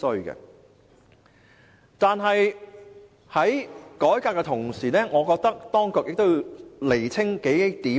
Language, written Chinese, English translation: Cantonese, 然而，在改革的同時，我覺得當局亦要釐清數點。, Yet I think that while implementing the reform the authorities must clarify a few points